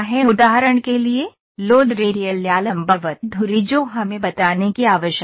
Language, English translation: Hindi, For instance in bearing load radial or perpendicular to axis that we need to tell